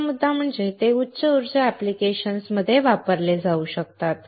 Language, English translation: Marathi, Second point is, it can be used in higher power applications